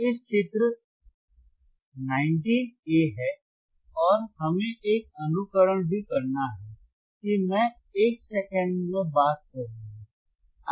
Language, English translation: Hindi, This is figure 19 a right aand the wwe have also have to perform a simulation, that I will talk it talk in a second